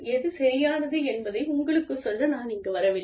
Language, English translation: Tamil, I am not here to tell you, what is right to what is wrong